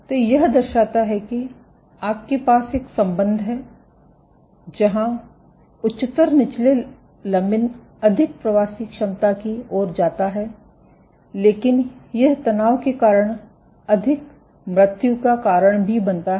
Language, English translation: Hindi, So, this shows that you have a relationship that higher lower lamin A, leads to more migratory potential, but it also leads to more death due to stress